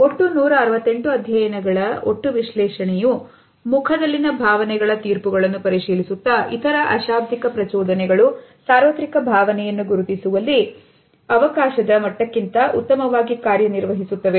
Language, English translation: Kannada, ” A meta analysis of 168 data sets examining judgments of emotions in the face and other nonverbal stimuli indicated universal emotion recognition well above chance levels